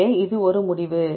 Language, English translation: Tamil, So, this is a result